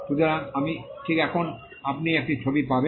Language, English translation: Bengali, So, I am just now you will get a picture